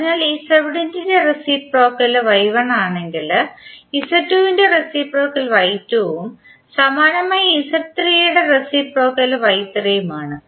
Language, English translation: Malayalam, So if reciprocal of Z1 is Y1, its Z2 reciprocal is Y2 and similarly for Z3 reciprocal is Y3